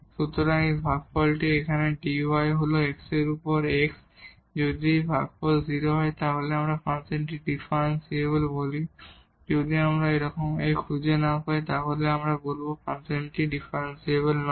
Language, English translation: Bengali, So, that this quotient here the dy is A into delta x over dx over delta x, if this quotient is 0 then we call the function differentiable and if we cannot find such a A then we will call the function is not differentiable